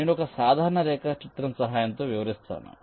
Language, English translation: Telugu, let me just illustrate with the help of a simple diagram